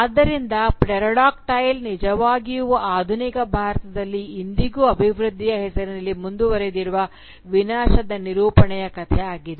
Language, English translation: Kannada, ” So, "Pterodactyl," really is a story which confronts this narrative of destruction which is continuing even today in modern day India in the name of development